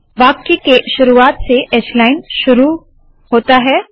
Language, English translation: Hindi, H line begins from the beginning of the sentence